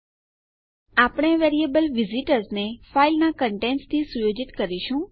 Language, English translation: Gujarati, Were setting our variable called visitors to the contents of the file